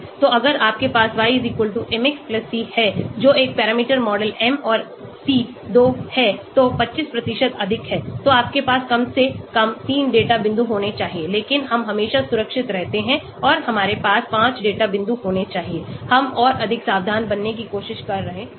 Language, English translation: Hindi, So if you have y=mx+c that is one parameter model m and c are 2 so 25% more so you should have at least 3 data points but we always safe and we should have 5 data points, we are trying to be more careful